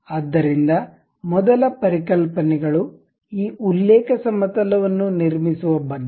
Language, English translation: Kannada, So, the first concepts is about constructing this reference plane